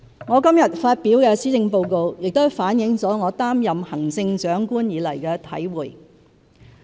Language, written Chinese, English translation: Cantonese, 我今天發表的施政報告亦反映了我擔任行政長官以來的體會。, The Policy Address I present today also reflects my experience since I assumed office as the Chief Executive